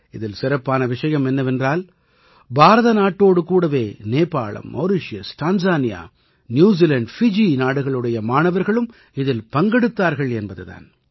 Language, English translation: Tamil, The special element in that was along with India, students from Nepal, Mauritius, Tanzania, New Zealand and Fiji too participated in that activity